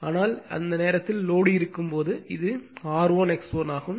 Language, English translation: Tamil, But when it is loaded at that time this is R 1 X 1